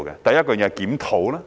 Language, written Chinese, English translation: Cantonese, 第一，是檢討。, The first task is to conduct a review